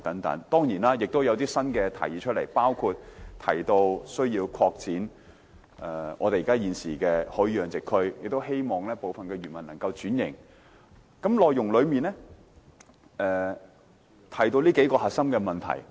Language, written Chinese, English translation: Cantonese, 當然，今次也提出了一些新政策，包括擴展現有的魚類養殖區，亦鼓勵部分漁民轉型，施政報告內容提到的就是這幾個核心問題。, Certainly some new measures have been proposed this time around which include expanding the existing fish culture zones and encouraging certain fishermen to undergo restructuring . These are the several core issues mentioned in the Policy Address